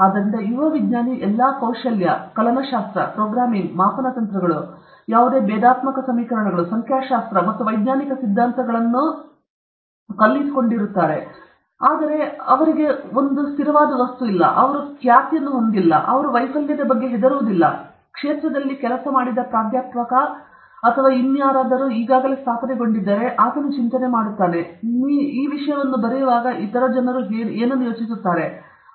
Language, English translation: Kannada, So, a young scientist has all the skill calculus, programming okay, measurement techniques, whatever, differential equations, statistics, and scientific theories and so on, and but he doesn’t have a baggage he doesn’t have a reputation, that he is not scared of failure, but if a professor or somebody who has worked in a field, who is already established, he is worried what will other people think when you write this thing